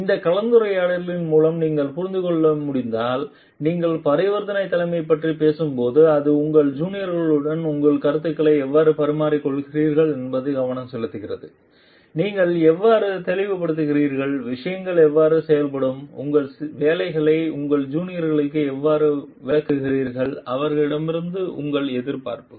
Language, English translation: Tamil, If you can understand through this discussion if like when you are talking of transactional leadership it is focusing on how you are exchanging your views with your juniors maybe, how you are expressing, how things will be getting done, how maybe you are explaining your jobs to your juniors and your expectations to them